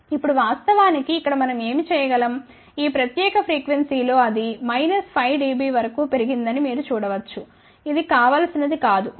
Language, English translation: Telugu, Now, what we can do actually here that at this particular frequency where you can see that it has gone up to as high as minus 5 dB which may not be desirable, ok